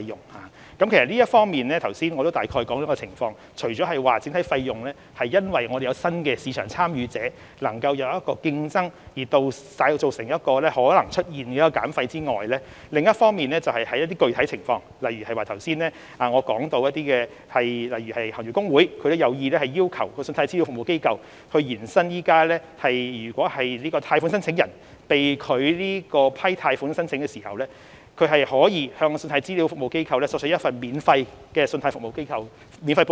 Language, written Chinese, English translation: Cantonese, 我剛才已大致說明有關情況，除了整體費用會因有新的市場參與者加入競爭而可能降低外，就某些具體情況而言，例如我剛才也提到，行業公會有意要求信貸資料服務機構延伸現行安排，即貸款申請人在貸款申請被拒後，可向信貸資料服務機構索取一份免費的信貸報告。, After giving a brief explanation of the situation that new market entrants may drive down overall fee as a result of competition I have also mentioned certain specific circumstances just now . For instance the Industry Associations intend to request CRAs to extend the current arrangement under which a loan applicant may obtain a free credit report from CRA after his loan application was rejected